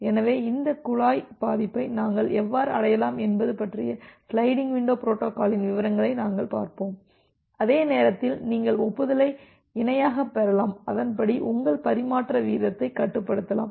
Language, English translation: Tamil, So, we will look into the details of the sliding window protocol about how we can achieve this pipelining and at the same time you can receive the acknowledgement parallelly and accordingly control your transmission rate